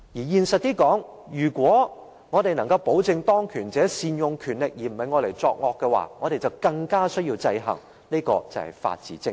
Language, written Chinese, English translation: Cantonese, 現實一點地說，如果我們要確保當權者善用權力，而不會用來作惡，我們更需要予以制衡，這便是法治精神。, To put it in a more realistic way if we wish to ensure that those in power will exercise their power properly rather than using it to do evil deeds we need all the more to put in place checks and balances . This is the spirit of the rule of law